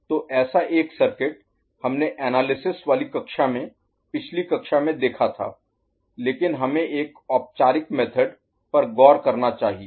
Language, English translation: Hindi, So, one such circuit we have seen in the analysis class, in the previous class, but let us look at a formalized method